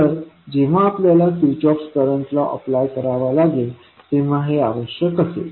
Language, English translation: Marathi, So, this will be required when you having the Kirchhoff voltage law to be applied